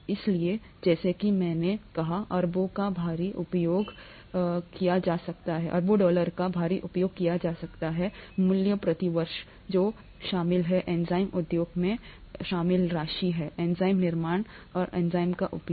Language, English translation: Hindi, So, heavily used as I said billions of dollars worth per year is what what is involved, the amount of money involved in enzyme use; enzyme manufacture, enzyme use